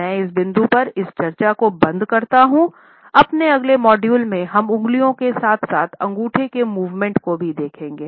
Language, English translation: Hindi, I would close this discussion at this point, in our next module we will take up the movement of the fingers as well as thumb